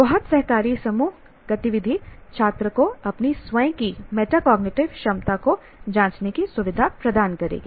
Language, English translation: Hindi, The very group activity, cooperative group activity will facilitate the student to keep examining his own metacognitive ability